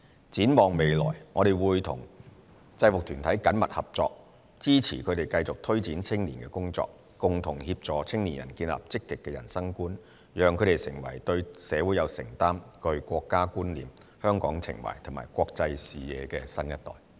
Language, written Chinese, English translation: Cantonese, 展望未來，我們會與制服團體緊密合作，支持它們繼續推展青年工作，共同協助青年人建立積極的人生觀，讓他們成為對社會有承擔，具國家觀念、香港情懷和國際視野的新一代。, Looking ahead we will work closely with UGs to support their ongoing youth work for collaborative efforts to help young people build a positive outlook on life and develop into a new generation with a commitment to society a sense of national identity a love for Hong Kong and an international perspective